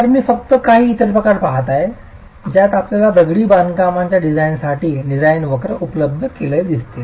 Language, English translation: Marathi, So, I'm just looking at some other forms in which you will see design curves made available for masonry design